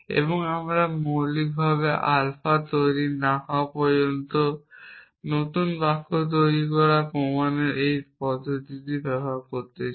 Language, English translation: Bengali, And we want to use this mechanism of proof of generating new sentences till we have generates generated alpha for essentially